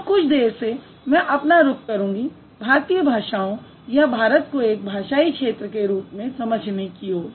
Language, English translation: Hindi, And I'll move to the Indian languages or India as a linguistic area a little later